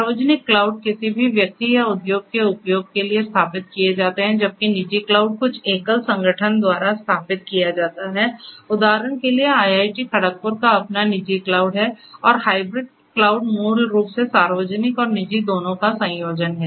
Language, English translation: Hindi, So, public cloud are set up for use of any person or industry whereas, the private cloud is set up by some single organization for example, IIT Kharagpur also has its own private cloud right and hybrid cloud basically is a combination you know it is a combination of both public and private so it is a cloud that is set up by two or more unique cloud setup providers right